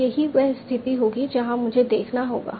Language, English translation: Hindi, So that will be the situation where I will have to see